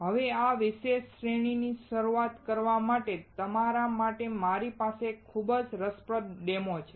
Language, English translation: Gujarati, Now to start with this particular series, I have very interesting demo for you